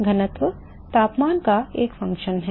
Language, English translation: Hindi, Density is a function of temperature right